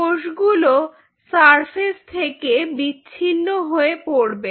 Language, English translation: Bengali, this cell will get detached from this surface